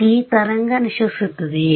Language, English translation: Kannada, Does this wave decay